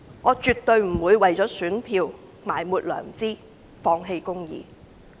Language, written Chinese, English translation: Cantonese, 我絕對不會為了選票而埋沒良知，放棄公義。, I will never go against my conscience and give up justice for the sake of votes